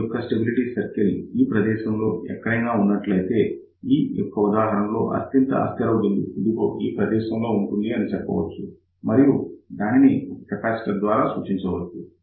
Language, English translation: Telugu, So, what happens, if this particular stability circle is somewhere over here, then in that particular case you can say that the most unstable point will be somewhere here and that can be realized by simply a capacitor